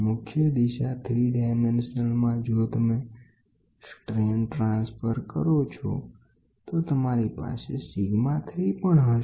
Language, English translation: Gujarati, The strain transformed to principal direction in a 3 d you will also have sigma 3